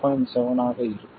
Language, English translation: Tamil, 7 that is about 0